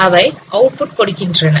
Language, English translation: Tamil, And then we produce the output